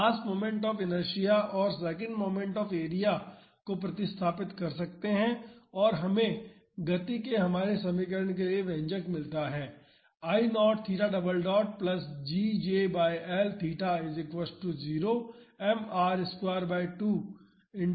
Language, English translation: Hindi, We can substitute the value of mass moment of inertia and the second moment of area and we get the expression for our equation of motion as this